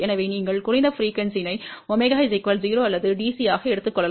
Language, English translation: Tamil, So, you can take the lowest frequency as omega equal to 0 or DC